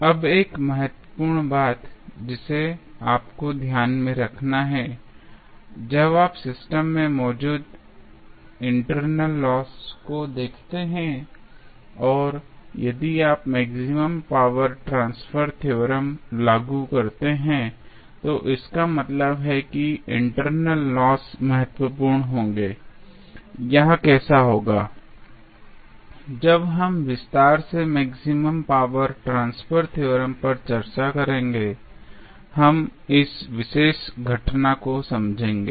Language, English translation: Hindi, Now, 1 important thing which you have to keep in mind that, when you see the internal losses present in the system, and if you apply maximum power transfer theorem, it means that there would be significant internal losses, how it will happen, when we will discuss the maximum power transfer theorem in detail, we will understand this particular phenomena